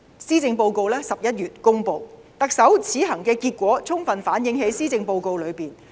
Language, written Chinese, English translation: Cantonese, 施政報告在11月公布，特首此行的結果充分反映在施政報告中。, The Policy Address was publicized in November and the results achieved in the Chief Executives visits are fully reflected in the Policy Address